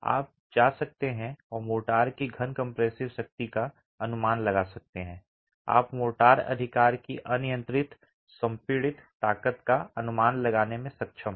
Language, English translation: Hindi, You can go and estimate in the cube compressive strength of the motor, you were able to estimate the uniaxial compressive strength of motor